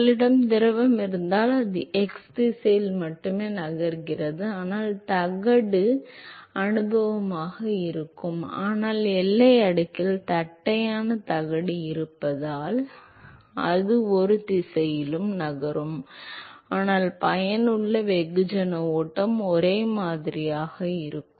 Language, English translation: Tamil, If you have fluid which is moving only in the x direction before the plate is experience, but in the boundary layer because of the presence of the flat plate its moving in both directions, but the effective mass flow is the same